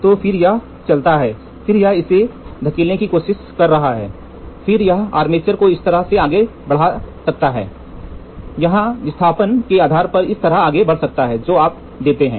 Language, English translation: Hindi, So, then here this moves then this is trying to push this fellow then this fellow armature might move, this might move like this or it can move like this depending upon the displacement here whatever you give